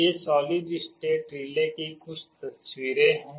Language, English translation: Hindi, These are some of the pictures of solid state relays